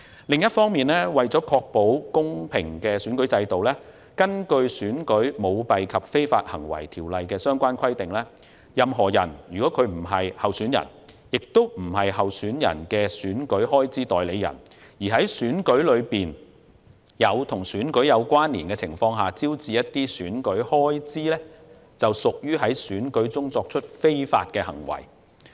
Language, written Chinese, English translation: Cantonese, 另一方面，為確保公平選舉，《選舉條例》規定，"任何人如非候選人亦非候選人的選舉開支代理人而在選舉中或在與選舉有關連的情況下招致選舉開支，即屬在選舉中作出非法行為"。, On the other hand to ensure fair elections the Elections Ordinance provides that a person other than a candidate or a candidates election expense agent engages in illegal conduct at an election if the person incurs election expenses at or in connection with the election